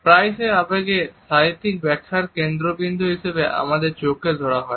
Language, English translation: Bengali, Eyes have often been the focus of our literary interpretation of emotions also